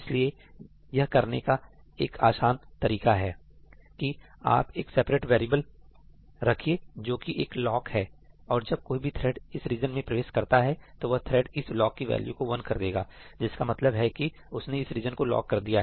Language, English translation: Hindi, So, one simple way of doing this is that you keep a separate variable which is a lock , and whenever any thread enters this region, it updates this lock to 1 saying that I have locked this region